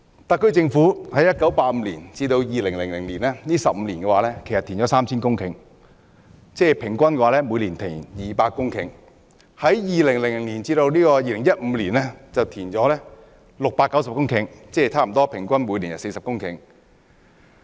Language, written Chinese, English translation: Cantonese, 特區政府在1985年至2000年15年期間，經填海獲得 3,000 公頃土地，即平均每年有200公頃填海土地；而在2000年至2015年期間，經填海獲得690公頃，即平均每年40公頃。, During the period of 15 years from 1985 to 2000 the SAR Government had made available 3 000 hectares of land from reclamation that is an average of 200 hectares of reclaimed land per year . And from 2000 to 2015 690 hectares of land were made available from reclamation that is an average of 40 hectares of reclaimed land per year